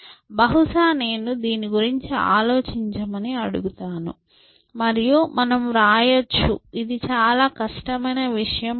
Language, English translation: Telugu, So, maybe I will ask you to think about this and we will write it is not a very difficult thing to do